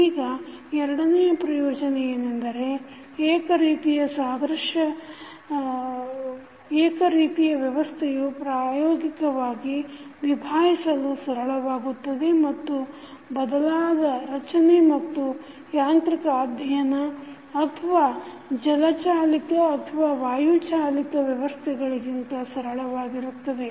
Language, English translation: Kannada, Now, second advantage is that since one type of system may be easier to handle experimentally than any other system instead of building and studying the mechanical or maybe hydraulic or pneumatic system